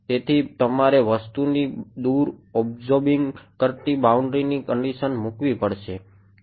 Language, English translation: Gujarati, So, you would have to put the absorbing boundary condition further away from the objects